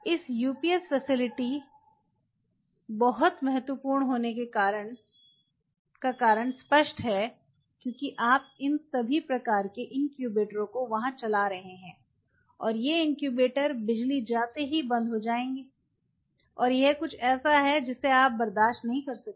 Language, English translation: Hindi, This UPS facility is very important because of the obvious reason because your running all this kind of incubators out there, and these incubators if the light goes off they will go off and that something you would cannot afford